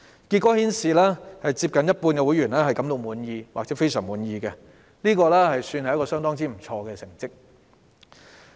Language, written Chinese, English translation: Cantonese, 結果顯示，接近一半會員感到滿意或非常滿意，這是相當不錯的成績。, It turned out that nearly half of the members felt satisfied or very satisfied . This was a pretty good result